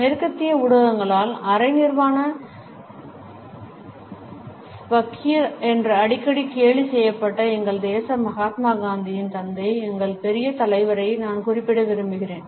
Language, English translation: Tamil, I would like to refer to our great leader, the father of our nation Mahatma Gandhi who was often ridiculed by the western media as the half naked fakir